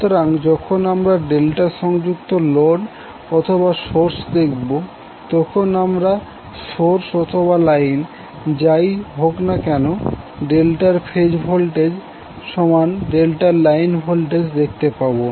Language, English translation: Bengali, So whenever we see the delta connected source or load, we will say that the phase voltage of the delta will be equal to line voltage of the delta whether it is source or load